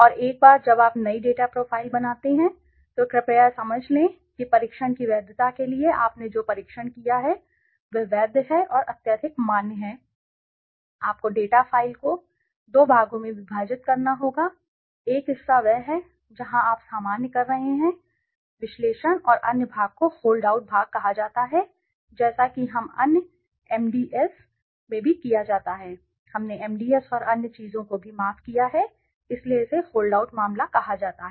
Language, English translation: Hindi, And once you created a new data file please understand that to for the validity of the test that what you have tested is valid and highly is valid thing you have to split the data file into two parts the one part is where you are doing the normal analyses and other part is called the hold out part as we are done in other MDS also we have done MDS and other things so sorry so this is called the hold out case